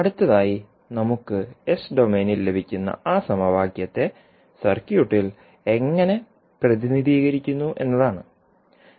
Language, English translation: Malayalam, So, this we get in the s domain next is how represent that equation in the circuit